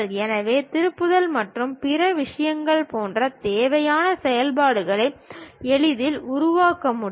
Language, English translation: Tamil, So, required operations like turning and other things can be easily formed